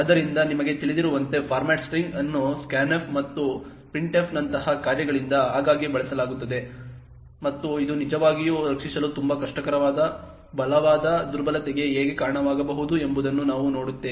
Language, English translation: Kannada, So, as you know the format string is something which is used quite often by functions such as scanf and printf and we will see that how this could lead to a very strong vulnerability that is very difficult to actually protect against